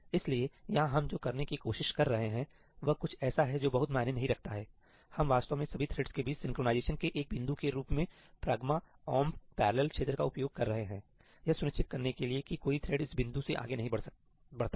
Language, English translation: Hindi, So, here what we are trying to do again is something which doesnít make a lot of sense; we are actually using the ëhash pragma omp parallelí region as a point of synchronization between all the threads to ensure that no thread proceeds ahead beyond this point